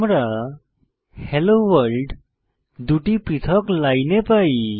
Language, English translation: Bengali, We get the output Hello World, but on separate lines